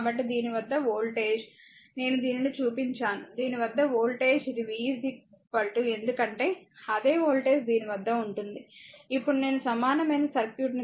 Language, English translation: Telugu, So, voltage across this, just now I showed this, that voltage across this, it will be your v is equal to because same voltage will be impressed across this just now I draw the equivalent circuit